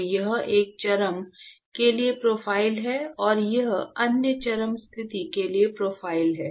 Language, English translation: Hindi, So, this is the profile for one extreme, and this is the profile for other extreme condition